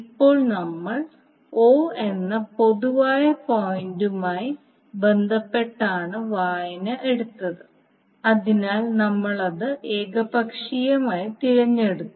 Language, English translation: Malayalam, Now we have taken the reading with reference to common point o, so we have selected it arbitrarily